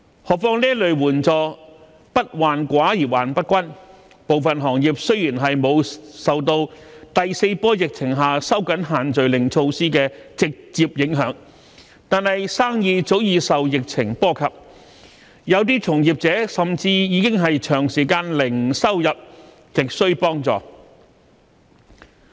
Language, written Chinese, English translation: Cantonese, 何況這類援助"不患寡而患不均"，部分行業雖然沒有受到第四波疫情下收緊限聚令措施的直接影響，但生意早已受疫情波及，有些從業者甚至已是長時間零收入，亟需幫助。, This kind of assistance is not a matter of scarcity but equality . Though some industries are not directly affected by the tightened measures on prohibition of group gathering under the fourth wave of epidemic their businesses have long since been affected by the epidemic . Moreover some members in those industries have been earning zero income for a long time and are in dire need of assistance